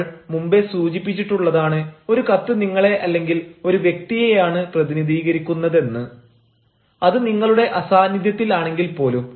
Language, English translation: Malayalam, we have already discussed that a letter represents you or represents a person, even in his absence